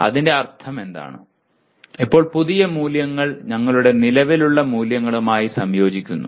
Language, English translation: Malayalam, What it means is now the new values are getting integrated with our existing values